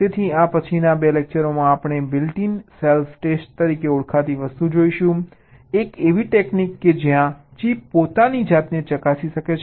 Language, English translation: Gujarati, so in this next couple of lectures we shall be looking at something called built in self test, like a technique way a chip can test itself